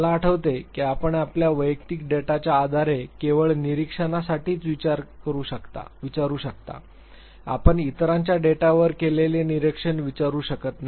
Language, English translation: Marathi, I remember that you can always ask only for the observation based on your personal data, you cannot ask for the observation made on the data of others